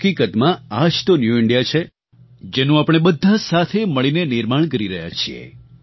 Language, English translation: Gujarati, In fact, this is the New India which we are all collectively building